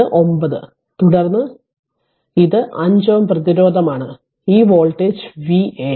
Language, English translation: Malayalam, So, you can make 9 right then you this 9 is entering then it is 5 ohm resistance this voltage is V a